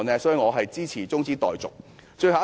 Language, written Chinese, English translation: Cantonese, 所以，我支持中止待續議案。, I thus support the adjournment motion